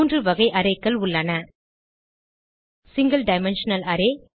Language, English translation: Tamil, There are three types of arrays: Single dimensional array